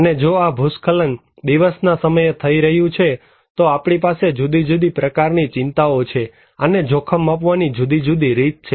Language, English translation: Gujarati, And if this landslide is happening at day time, we have different concerns and different way of measuring risk